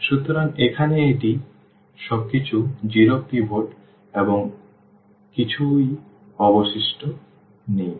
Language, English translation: Bengali, So, here this is pivot everything 0 here and there is nothing left